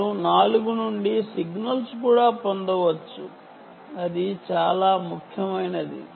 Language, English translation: Telugu, they can also receive the signal from four